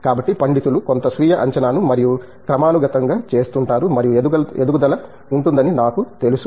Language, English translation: Telugu, So, I am sure the scholar themselves will do some self assessment more periodically and keep growing